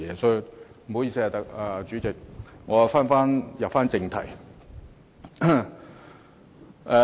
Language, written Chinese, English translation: Cantonese, 不好意思，主席，我現在返回正題。, Pardon me President . I will now return to the subject of the motion